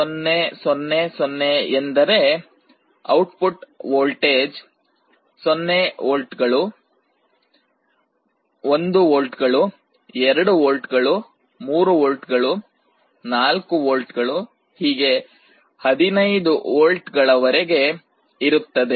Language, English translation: Kannada, 0 0 0 0 means output is 0 volts, 1 volt, 2 volts, 3 volts, 4 volts, up to 15 volts